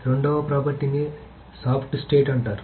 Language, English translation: Telugu, The second property is called soft state